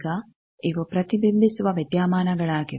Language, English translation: Kannada, Now, these are thing that reflection phenomena